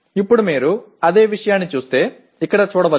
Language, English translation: Telugu, And now if you look at the same thing that can be can be shown here